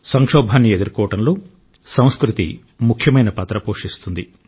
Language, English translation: Telugu, Culture helps a lot during crisis, plays a major role in handling it